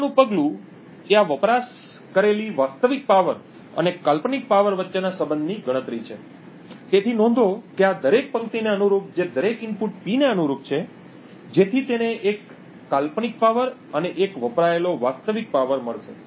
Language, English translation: Gujarati, The next step is compute a correlation between the actual power consumed that is this part and the hypothetical power, so note that corresponding to each row in this that is corresponding to each input P he would get one hypothetical power and one real power consumed